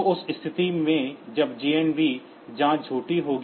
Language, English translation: Hindi, So, in that case this JNB check will be false